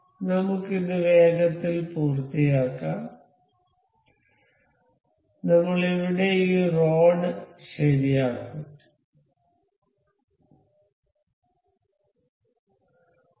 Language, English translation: Malayalam, So, we will just quickly finish it up we will fix this rod here